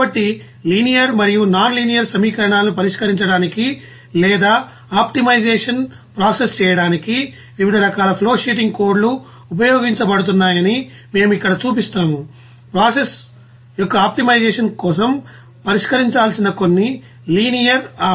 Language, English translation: Telugu, So, we will show here that what are the different types of you know flowsheeting codes are being used for solving linear and nonlinear equations also or process optimization, you will see that there also there maybe some you know linear and nonlinear equations which is to be solved for optimization of the process